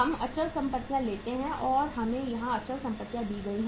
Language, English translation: Hindi, We take the fixed assets and we are given the fixed assets here